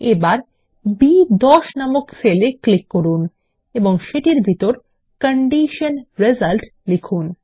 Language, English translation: Bengali, Lets click on the cell referenced as B10 and type Condition Result inside it